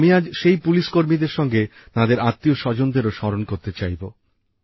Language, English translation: Bengali, Today I would like to remember these policemen along with their families